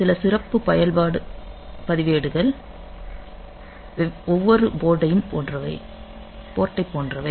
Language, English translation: Tamil, So, some of the special function registers are like every port